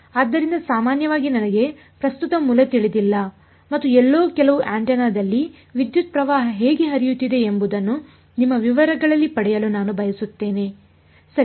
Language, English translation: Kannada, So, typically I do not know the current source and I do want to get into your details how the current is flowing in some antenna somewhere right